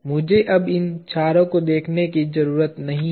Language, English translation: Hindi, I need not now look at all these four